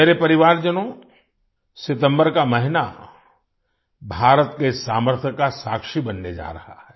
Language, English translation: Hindi, My family members, the month of September is going to be witness to the potential of India